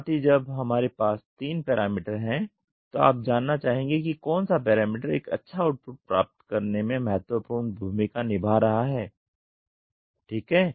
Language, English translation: Hindi, And also when we have three parameters you would like to know which parameter is playing a significant role on getting a good output ok